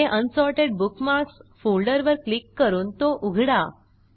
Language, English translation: Marathi, Next, click on and open the Unsorted Bookmarks folder